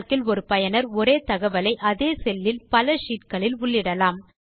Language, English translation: Tamil, Calc enables a user to enter the same information in the same cell on multiple sheets